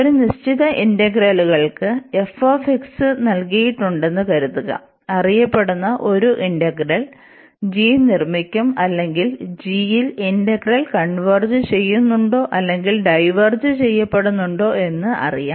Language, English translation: Malayalam, And this is going to be very useful, because for a given integrals suppose this f x is given we will construct a g whose a behaviour is known or that the integral over this g is known whether it converges or diverges